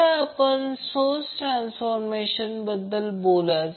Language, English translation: Marathi, Now let us talk about the source transformation